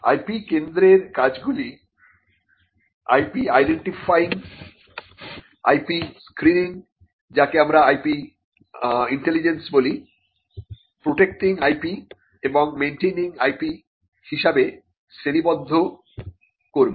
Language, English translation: Bengali, So, the functions of the IP centre will just broadly classify them as identifying IP, screening IP what we call IP intelligence, protecting IP and maintaining IP